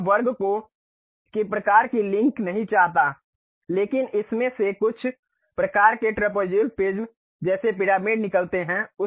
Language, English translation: Hindi, Now, I do not want the square kind of link, but something like trapezoidal kind of prism coming out of it more like a pyramid